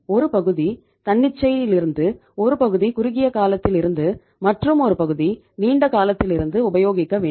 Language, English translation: Tamil, Partly it is coming from spontaneous, partly it is coming from short term, partly it is coming from the long term